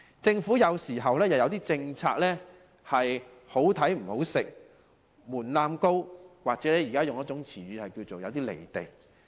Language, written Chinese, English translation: Cantonese, 政府政策有時"好睇唔好食"，門檻高，又或引用近來的潮語，是有些"離地"。, Sometimes government policies only look delicious but are inedible because of the high thresholds or borrowing a catchphrase they are above the ground . I will use the recent food truck initiative as an example